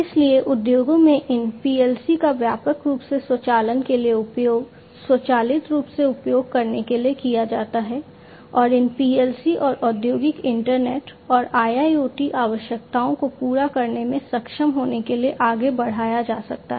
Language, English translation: Hindi, So, these PLC’s are quite widely used in the industries to automate, for automation purposes and these PLC’s could be extended further to be able to serve the industrial internet and IIoT requirements